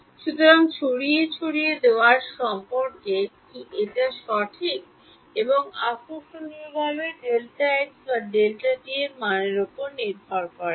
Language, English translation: Bengali, So, what is the dispersion dispersion relation is this one right, and interestingly does not depend on the value of delta x or delta t right